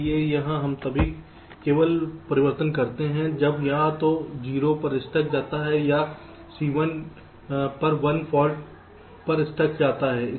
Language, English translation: Hindi, so here we make changes only when there is either a stuck at zero or stuck at one fault on c